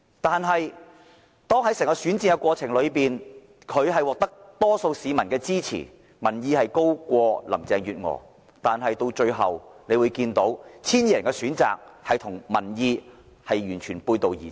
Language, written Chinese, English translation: Cantonese, 但是，在整個選戰過程中，他雖然獲得多數市民的支持，民望高於林鄭月娥，但那 1,200 人的最後選擇卻與民意完全背道而馳。, Yet during the whole election process although he has won the support of the majority of Hong Kong people and had a higher popularity rating than Carrie LAM the final choice made by those 1 200 electors has run contrary to public opinions